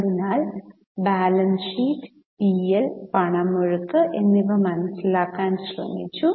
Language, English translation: Malayalam, So, we have tried to understand the balance sheet, P&L and Cash flow